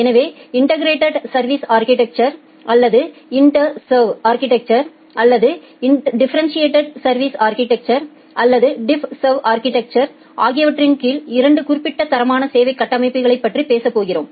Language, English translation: Tamil, So, we are going to talk about two specific quality of service architectures called integrated service architecture or IntServ architecture or that under differentiated service architecture or DiffServ architecture